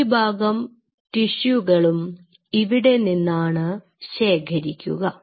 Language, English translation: Malayalam, So, most of the tissue is collected from here